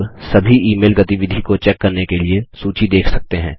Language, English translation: Hindi, You can now view the list to check all email activity